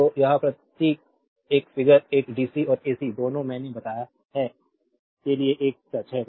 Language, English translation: Hindi, So, this symbol this figure one is a true for both dc and ac I have told you right